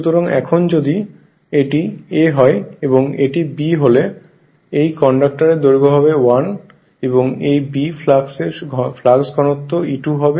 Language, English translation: Bengali, So, now, if you if you now this is this is A, this is B this is that conductor length is L and this actually flux density this is B flux density